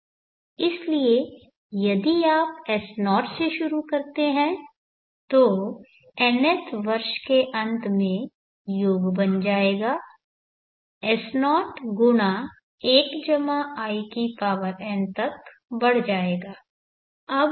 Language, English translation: Hindi, So if you begin with s0 the end of nth year the sum would have grown to s0 + in